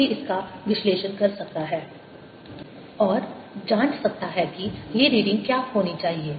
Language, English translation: Hindi, one can analyze this and check what these readings should be